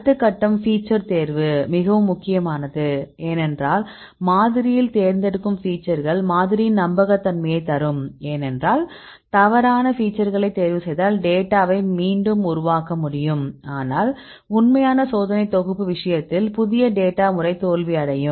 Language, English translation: Tamil, Then the next step is feature selection this is very important, because what are the features you select in your model that will give you the reliability of your model because if you choose wrong features right then you can reproduce the data, but in you go with the real test set or the new data in this case your method will fail